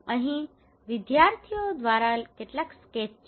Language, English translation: Gujarati, Here some of the sketches done by the students